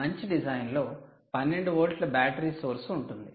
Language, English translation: Telugu, you have a twelve volt battery source